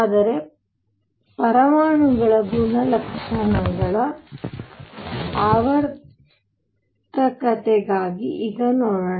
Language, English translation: Kannada, But let us see now for the periodicity of properties of atoms